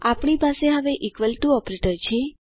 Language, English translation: Gujarati, we now have the equal to operator